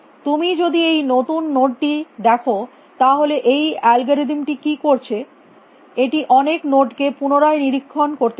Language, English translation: Bengali, If you look at only the new no it is now what is this algorithm doing it is going to re inspect many nodes